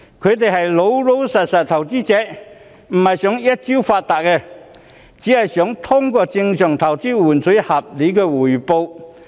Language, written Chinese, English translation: Cantonese, 他們是老實的投資者，並非想一朝發達，只是想通過正常投資換取合理的回報。, They are honest investors who do not think of getting rich overnight they just want to get reasonable return via their normal investment